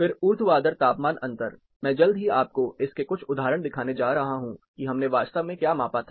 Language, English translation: Hindi, Then the vertical temperature difference is I am going to shortly show you some examples of what we actually measured